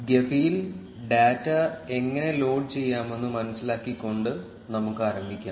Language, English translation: Malayalam, Let us begin by understanding how to load data in gephi